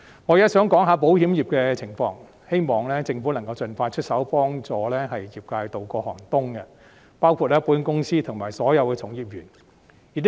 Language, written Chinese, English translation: Cantonese, 我現在想談談保險業的情況，希望政府能夠盡快出手協助業界渡過寒冬，包括保險公司和所有從業員。, Now I would like to talk about the circumstances surrounding the insurance industry . I hope that the Government will expeditiously lend a helping hand to the industry including insurance companies and all practitioners for surviving the cold winter